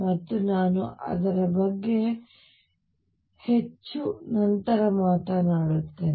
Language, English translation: Kannada, And I will talk about it more later